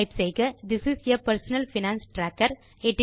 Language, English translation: Tamil, Now we type THIS IS A PERSONAL FINANCE TRACKER